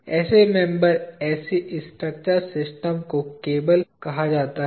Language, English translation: Hindi, Such a member, such a structural system is called a cable